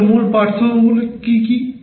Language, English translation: Bengali, So, what are the main differences